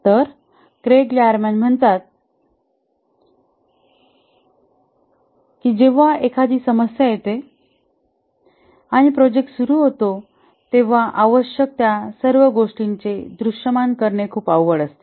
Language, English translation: Marathi, Craig Lerman says that when a project starts, it's very difficult to visualize all that is required